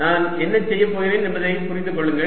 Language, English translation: Tamil, so please understand what i am doing